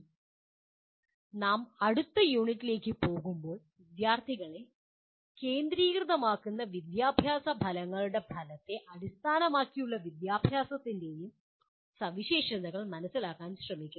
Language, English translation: Malayalam, Now when we go to the next unit, we attempt to now understand the features of outcomes and outcome based education that make the education student centric